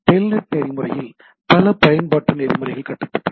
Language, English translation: Tamil, Many application protocols are built upon the telnet protocol